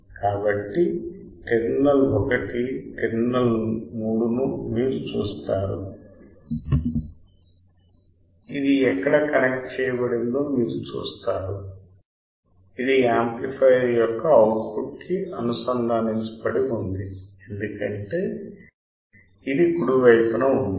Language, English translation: Telugu, So, you see terminal 1 terminal 3 right this is the you see where is connected this connected to the output of the amplifier right output of the amplifier because this is grounded right